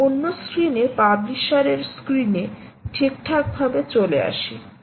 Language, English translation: Bengali, now lets move to the other screen, the, the publishers screen